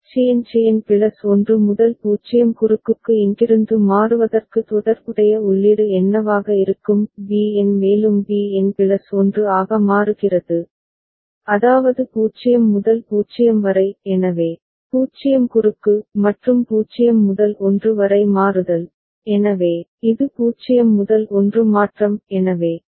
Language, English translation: Tamil, So, what will be the corresponding input for Cn changing to Cn plus 1 0 cross from here; B n is also changing to B n plus 1, that is 0 to 0 so, 0 cross; and An changing from 0 to 1, so, it is 0 to 1 transition so, 1 cross